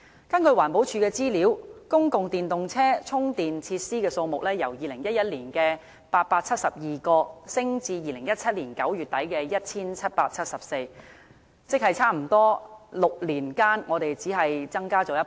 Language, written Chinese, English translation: Cantonese, 根據環保署的資料，公共電動車充電設施數目由2011年的872個，上升至2017年9月底的 1,774 個，即是6年間只是大約增加1倍。, As shown by the statistics of the Environmental Protection Department the number of public EV charging facilities saw an increase from 872 in 2011 to 1 774 in late September 2017 . This means that there was only a twofold increase in six years